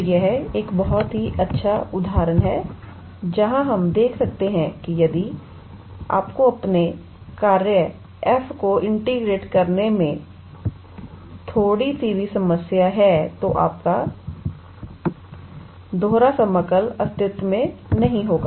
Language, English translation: Hindi, So, this is a very nice example where we can see that if you have even a little bit problem in your integrand your function f, then your double integral would not exist